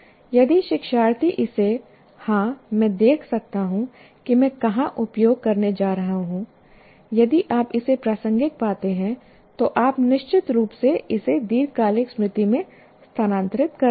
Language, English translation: Hindi, So if the learner finds it, yes, I can see what is the, where I am going to use, you are going to, if you find it relevant, then you will certainly transfer it to the long term memory